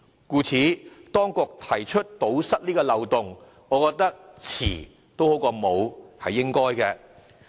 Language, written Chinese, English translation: Cantonese, 故此，當局提出堵塞這漏洞，我覺得"遲總好過沒有"，實屬應當。, Therefore I consider it a necessary step for the Government to plug the loophole and it is better late than never